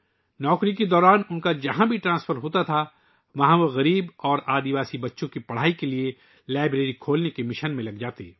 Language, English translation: Urdu, Wherever he was transferred during his job, he would get involved in the mission of opening a library for the education of poor and tribal children